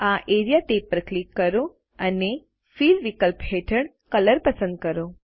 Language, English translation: Gujarati, Click the Area tab and under the Fill option, select Color